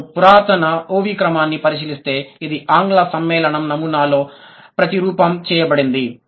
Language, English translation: Telugu, So, if you look at the ancient OV order, it is replicated in an English compounding pattern is still productive today